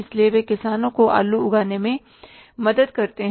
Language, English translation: Hindi, So, they help the farmers to grow the potatoes